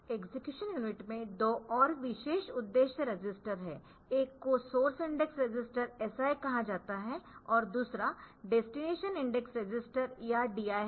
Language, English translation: Hindi, execution unit special purpose register, one is called source index register SI another is the destination index register or DI they are used for indexed addressing